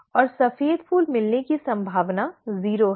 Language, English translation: Hindi, And the probability of getting white flowers is zero